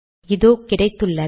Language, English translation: Tamil, So there it is